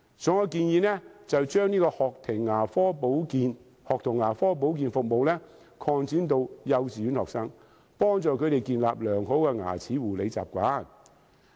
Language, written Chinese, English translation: Cantonese, 所以，我建議將學童牙科保健服務擴展至幼稚園學生，幫助他們建立良好的牙齒護理習慣。, For that reason I suggest that the School Dental Care Services should be extended to kindergarten children in order to help children to nurture a good dental care habit